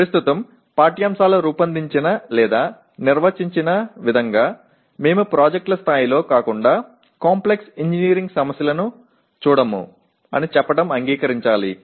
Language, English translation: Telugu, So we just have to accept saying that presently the way the curricular designed or defined we do not look at Complex Engineering Problems other than at the level of projects